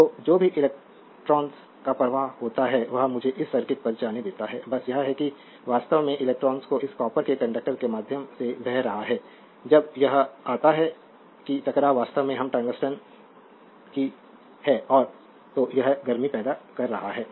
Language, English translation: Hindi, So, whatever that electrons flow just let me go to this circuit just hold on, is that actually electrons is flowing through this copper conductor, when it come to that is at collision actually we that of the tungsten and therefore, it is causing as you know heat